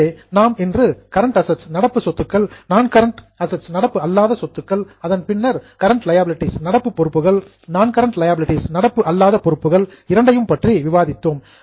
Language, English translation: Tamil, Now we have understood both non current assets, current assets, then non current liabilities current liabilities